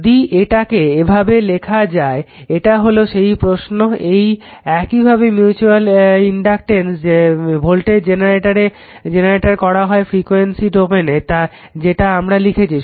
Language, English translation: Bengali, So, that like your that it is same way you are putting that mutual inductance voltage generator in frequency domain we are writing it